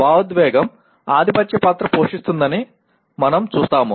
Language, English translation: Telugu, We will see that emotion plays a dominant role